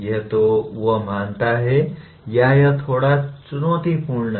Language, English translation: Hindi, Either he considers, yes it is a bit challenging